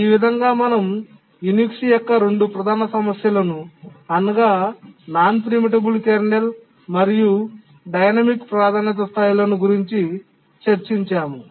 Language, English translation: Telugu, So we just saw two major problems of Unix, non preemptible kernel and dynamic priority levels